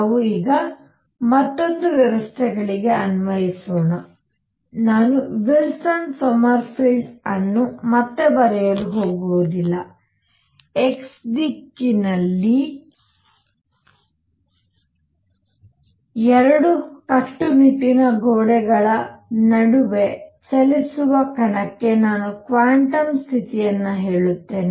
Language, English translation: Kannada, Let us now apply to another systems, apply and I am not going to write Wilson Sommerfeld again and again, I will just say quantum condition to a particle moving between two rigid walls in x direction